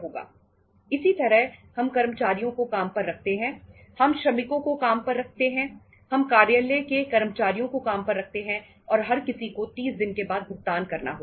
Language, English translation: Hindi, Similarly, we hire employees, we hire plant workers, we hire office employees and everybody has to be paid after 30 days